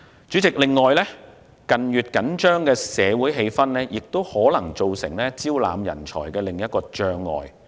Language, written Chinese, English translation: Cantonese, 主席，近月緊張的社會氣氛可能造成招攬人才的另一障礙。, President the tense social atmosphere in recent months may create another obstacle to recruiting talents